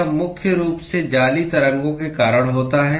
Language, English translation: Hindi, It is primarily because of lattice waves